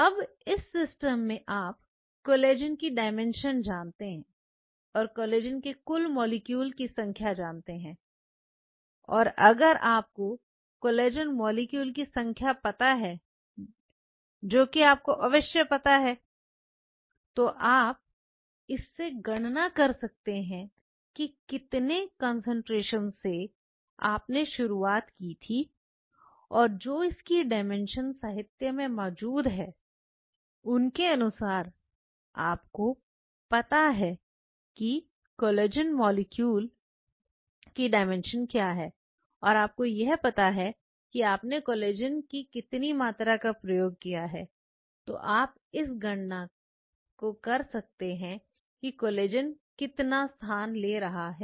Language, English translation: Hindi, Now, in this molecule you know the dimension of the collagen and the total number of collagen molecules, total number of collagen molecules and if you know the total number of collagen molecules that you have of course, back calculate using number about, what is the concentration you started with and the dimension of it that you can see in the literature